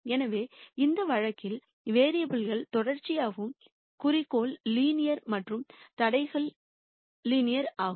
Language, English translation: Tamil, So, in this case the variables are continuous, the objective is linear and the constraints are also linear